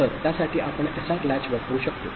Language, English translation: Marathi, So, for that we can use SR latch, right